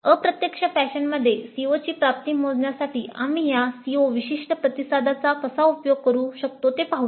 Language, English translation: Marathi, Then let us see how we can use this CO specific responses to compute the attainment of the Cs in an indirect fashion